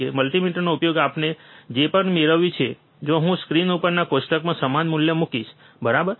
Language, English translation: Gujarati, Whatever we have obtained using the multimeter, if I put the same value, in the table which is on the screen, right